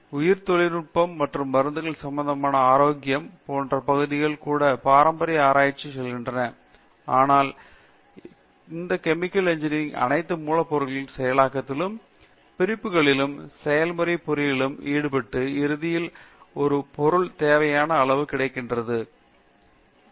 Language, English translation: Tamil, But we have also the areas like biotechnology and even wellness where itÕs letÕs say research related to the traditional medicines, so in all of these chemical engineering is involved in terms of raw material processing, separations and then the process engineering and then finally getting a material of a desired quality